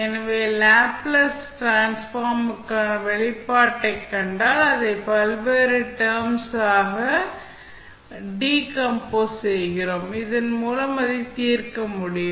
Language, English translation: Tamil, So, if you see the expression for Laplace Transform, which we decompose into various terms, so that you can solve it